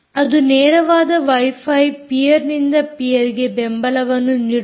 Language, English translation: Kannada, it does wifi direct peer to peerm support